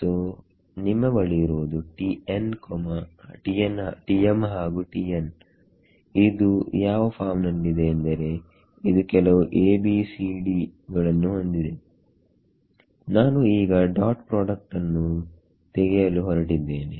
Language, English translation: Kannada, So, you have a T m and T n which is of this form it has some A B C D, and I am going to take the dot product ok